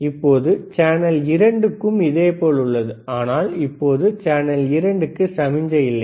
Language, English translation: Tamil, tThen we have similarly for channel 2, but right now channel 2 has no signal